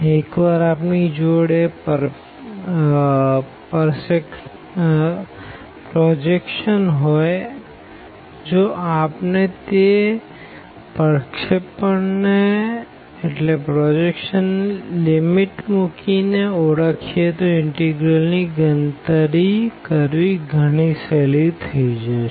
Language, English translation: Gujarati, Once we have that projection, if we identify that projection putting the limits will be will be much easier and we can compute the integral